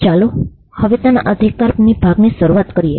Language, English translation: Gujarati, Now let us start with the right part of it